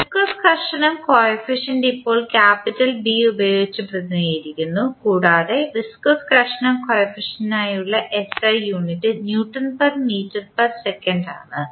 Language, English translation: Malayalam, Viscous friction coefficient with just saw it is represented with capital B and the SI unit for viscous friction coefficient is n by Newton per meter per second